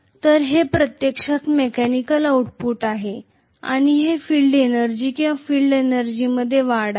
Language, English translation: Marathi, So this is actually the mechanical output and this is the field energy or increase in the field energy